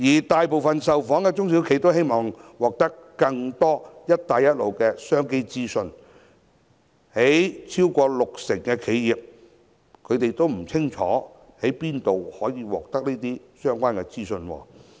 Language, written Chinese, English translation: Cantonese, 大部分受訪的中小企表示希望獲得更多"一帶一路"的商機資訊，但超過六成的企業均不清楚在哪裏可獲得相關資訊。, While most of the responding SMEs have expressed their wish to get more information about the opportunities presented by the Belt and Road Initiative over 60 % of them do not know where they can obtain such information